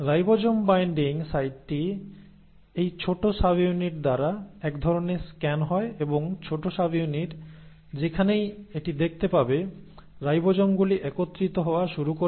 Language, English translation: Bengali, So the ribosome binding site is kind of scanned by this small subunit and wherever the small subunit will see this, the ribosomes will start assembling